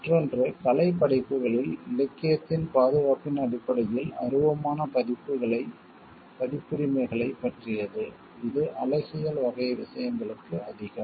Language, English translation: Tamil, And other is for regarding like copyrights which is more of an intangible in terms of the protection an of the literary in artistic works which is more for the aesthetic type of things